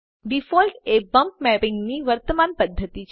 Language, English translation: Gujarati, Default is the current method of bump mapping